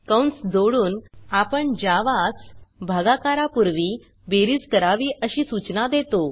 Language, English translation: Marathi, By adding parentheses, we instruct Java to do the addition before the division